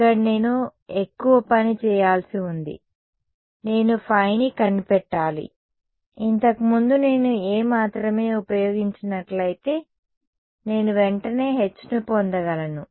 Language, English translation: Telugu, Here I have to do more work right I have to also find phi, earlier if I used only A, I could get H straight away ok